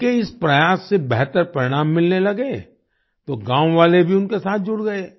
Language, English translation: Hindi, When his efforts started yielding better results, the villagers also joined him